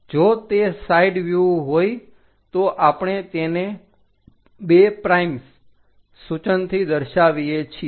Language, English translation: Gujarati, If it is side view, we show it by two prime notation